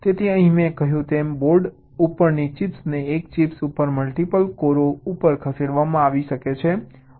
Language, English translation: Gujarati, so here, as i said, that chips on boards have been moved to multiple course on a chip and we use very similar concepts